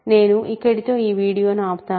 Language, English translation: Telugu, So, I will stop the video here